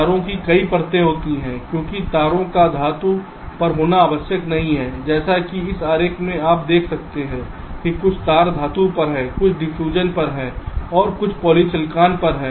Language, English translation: Hindi, there are many layers of wires because wires are not necessarily on metal, like in this diagram, as you can see, some of the wires are on metal, some are on diffusion and some are on poly silicon